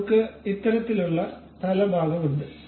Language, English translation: Malayalam, So, we have such kind of head portion